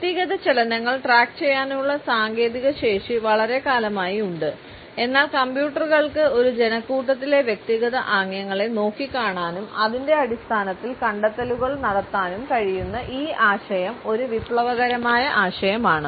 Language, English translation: Malayalam, The technological capability to track and individuals movements had been there for a very long time now, but this idea that computers can look at the individual people gestures in a crowd and can make detections on it is basis is a revolutionary concept